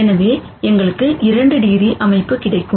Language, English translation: Tamil, So, we are left with 2 degrees of freedom